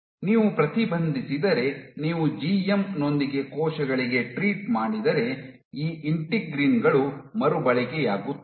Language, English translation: Kannada, If you inhibit, if you treat cells with GM what is observed is these integrins become recycled